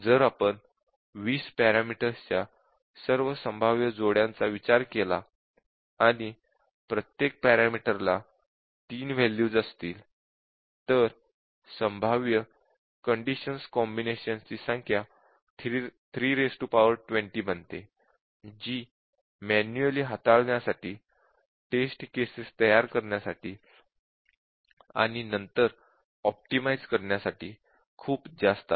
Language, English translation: Marathi, If we consider all possible combinations of 20 parameters, and each parameter takes three, values so the number of possible combinations of the conditions becomes 3 to the power 20 which is just too many to handle manually and to form the test cases and then to optimize